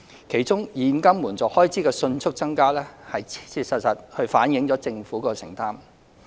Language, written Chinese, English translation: Cantonese, 其中，現金援助開支的迅速增加切切實實地反映了政府的承擔。, In this the Governments commitment is clearly evident in the rapid increase in expenditure on cash assistance